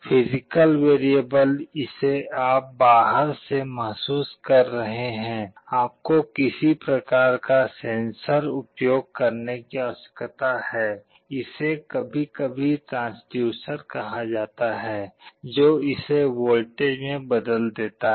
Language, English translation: Hindi, The physical variable that you are sensing from outside, you need to use some kind of a sensor, it is sometimes called a transducer to convert it into a voltage